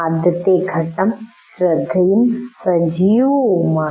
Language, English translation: Malayalam, Then the first stage is attention and activation